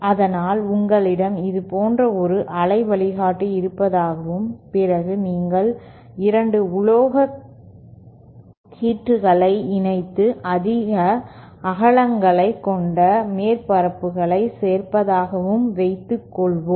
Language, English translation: Tamil, So suppose you have a waveguide like this and you add 2 metallic strips which connects the surfaces which have greater widths